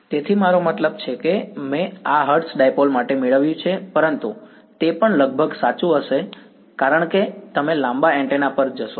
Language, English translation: Gujarati, So, I mean I derived this for hertz dipole, but it will also be roughly true as you go to longer antennas